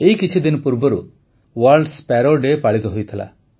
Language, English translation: Odia, My dear countrymen, World Sparrow Day was celebrated just a few days ago